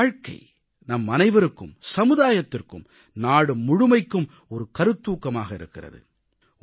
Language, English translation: Tamil, His life is an inspiration to us, our society and the whole country